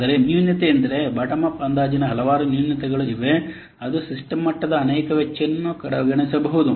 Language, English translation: Kannada, But the drawback, there are several drawbacks of bottom up test estimation such as it may overlook many of the system level costs